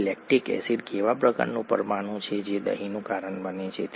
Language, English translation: Gujarati, Now, what kind of a molecule is lactic acid which is what is causing the curdling